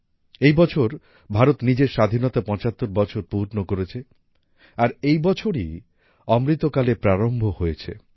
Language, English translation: Bengali, This year India completed 75 years of her independence and this very year Amritkal commenced